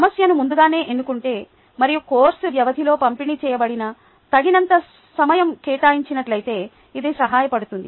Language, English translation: Telugu, it will help if the problem is chosen well in advance and sufficient time distributed throughout the course duration is devoted